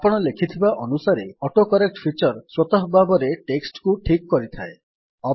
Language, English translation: Odia, AutoCorrect feature automatically corrects text as you write